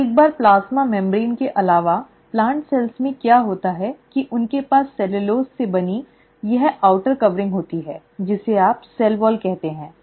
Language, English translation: Hindi, So in addition to a plasma membrane, what happens in plant cells is they have this outer covering made up of cellulose, which is what you call as the cell wall